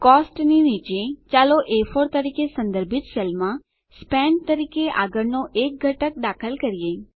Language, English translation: Gujarati, Below COST, lets enter the next component as SPENT in the cell referenced A4